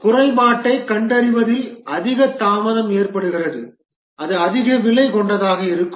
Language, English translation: Tamil, The more delay occurs in detecting the defect, the more expensive it will be